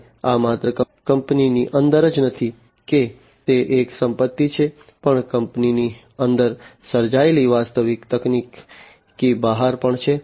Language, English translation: Gujarati, And this is not only within the company that it is an asset, but also beyond the actual opportunity that is created within the company